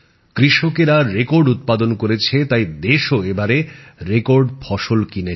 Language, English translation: Bengali, The farmers produced record output and this time the country went on to procure record amount of crops